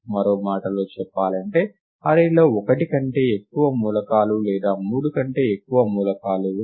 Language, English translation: Telugu, In other words, if the array has more than one element right, or more than three elements